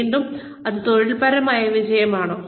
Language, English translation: Malayalam, Again, is it occupational success